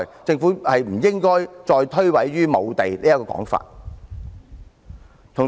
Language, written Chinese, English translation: Cantonese, 政府實不應再以無地這說法來推諉責任。, The Government should stop shirking its responsibility on the pretext of land shortage